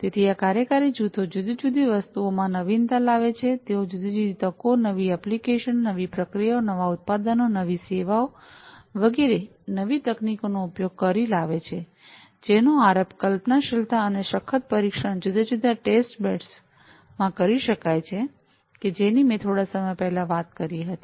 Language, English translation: Gujarati, So, these working groups do different things they innovate, they come up with different opportunities of the use of new technologies, new applications, new processes, new products, new services, etcetera, which could be initiated, conceptualized, and could be rigorously tested, in the different testbeds that I just talked about a while back